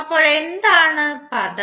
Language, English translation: Malayalam, So what was the term